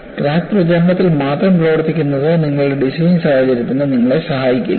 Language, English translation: Malayalam, Working only on crack propagation will not help you for your design scenario